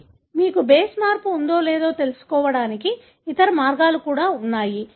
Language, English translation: Telugu, But, there are other various ways as well, to detect whether you have a base change